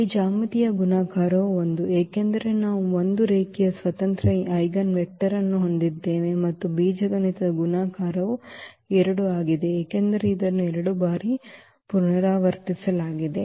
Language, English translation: Kannada, So, here the geometric multiplicity is 1, because we have 1 linearly independent eigenvector and the algebraic multiplicity of 2 is 2 because this 2 was repeated 2 times